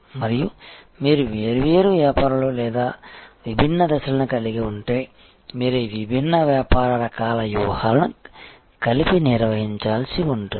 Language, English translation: Telugu, And if you have different businesses or difference stages, then you may have to manage this different business types of strategies together